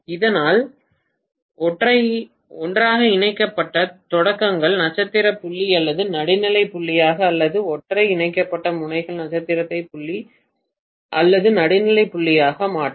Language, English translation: Tamil, So that the beginnings connected together will make the star point or neutral point or the ends connected together will make the star to point or neutral point